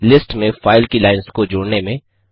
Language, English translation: Hindi, Append the lines of a file to a list